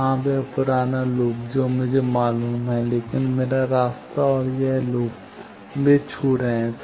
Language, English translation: Hindi, Yes, that old loop that value I know, but my path and this loop they are touching